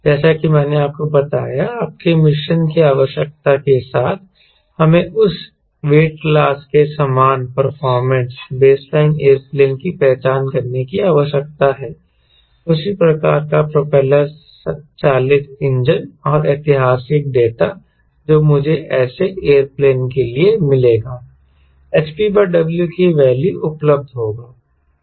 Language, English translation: Hindi, as i told you, which is your mission requirement, we need to identify a base line aero plane of that weight class, similar performance, same type of engine, properly to be an engine, and historical data i will find for for such aero plane